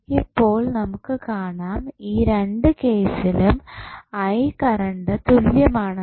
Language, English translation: Malayalam, So, we can see now, in both of the cases the current I is same